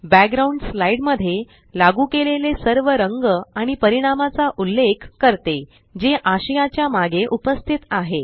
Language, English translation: Marathi, Background refers to all the colors and effects applied to the slide, which are present behind the content